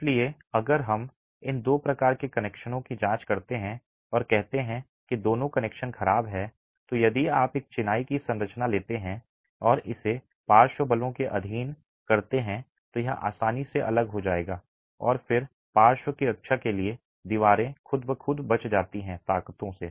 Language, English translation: Hindi, So, if you were to examine these two types of connections and say both these connections are poor, then if you take a masonry structure and subject it to lateral forces, it will easily separate and then the walls are all left by themselves to defend the lateral forces